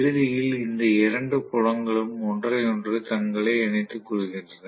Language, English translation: Tamil, So, ultimately both these fields align themselves with each other right